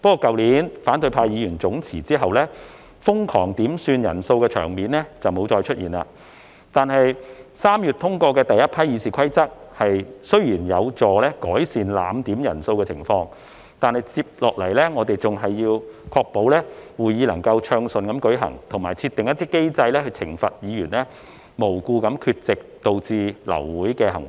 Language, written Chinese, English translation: Cantonese, 去年反對派議員總辭後，瘋狂點算人數的場面沒有再出現，而3月通過的第—批《議事規則》修訂雖有助改善濫點人數的情況，但接下來我們仍要確保會議能夠暢順進行，以及設定一些機制來懲罰議員無故缺席而導致流會的行為。, After the collective resignations of Members of the opposition camp last year the frantic quorum calls have ceased . While the first batch of amendments to the Rule of Procedures passed in March could help alleviate the abuse of quorum calls we still have to ensure the smooth progress of upcoming meetings and set up mechanisms to impose penalties on Members absent without valid reasons that result in an abortion of meeting